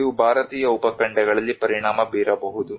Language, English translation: Kannada, It may have impact in the Indian subcontinent